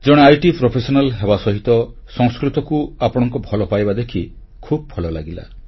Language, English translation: Odia, Alongwith being IT professional, your love for Sanskrit has gladdened me